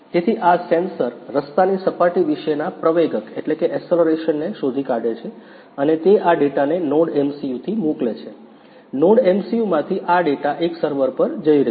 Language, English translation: Gujarati, So, these sensor detects the accelerations about the road surface and it send this data from the NodeMCU, from the NodeMCU these data is going to send one server